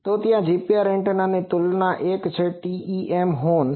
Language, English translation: Gujarati, So, there are comparison of GPR antennas one is TEM horn